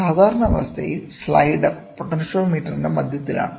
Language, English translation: Malayalam, Under normal condition, the slider is at the centre of the potentiometer